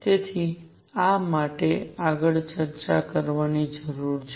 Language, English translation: Gujarati, So, this is I am going to need to discuss next